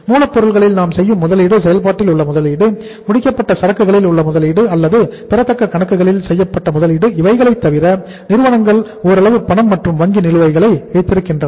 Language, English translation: Tamil, Apart from the investment we are making in the raw material in the work in process or in the finished goods or in the say uh accounts receivable firms keep some amount of cash as cash and bank balance right